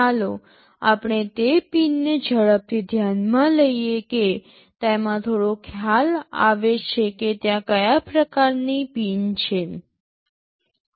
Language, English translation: Gujarati, Let us see those pins quickly into have some idea that that what kind of pins are there